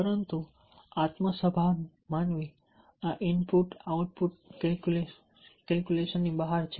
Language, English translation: Gujarati, but the self conscious human being is beyond this input output calculus